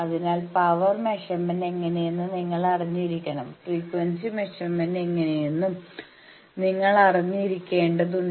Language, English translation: Malayalam, So, you should know how to measure power, also you should know how to measure frequency